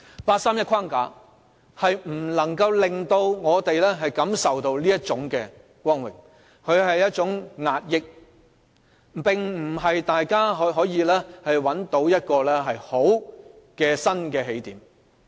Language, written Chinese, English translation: Cantonese, 八三一框架不能令我們感受到這種光榮，它是一種壓抑，並不能可讓大家找到一個好的新起點。, The 31 August framework just cannot bring us this kind of glory . It is a kind of suppression which will only prevent us from finding a good new starting point